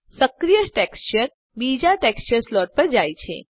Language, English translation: Gujarati, The active texture moves back to the first slot